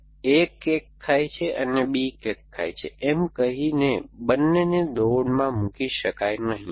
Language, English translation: Gujarati, So, both cannot be put into the running after saying a is eating the cake and b is eating the cake